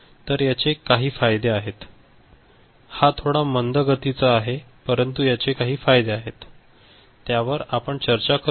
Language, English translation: Marathi, Now, it has got certain advantage, it is little bit slower lower, but it has got certain advantage which we shall discuss little later